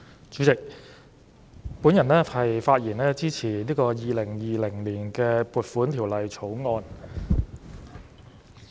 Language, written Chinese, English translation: Cantonese, 主席，我發言支持《2020年撥款條例草案》。, President I speak in support of the Appropriation Bill 2020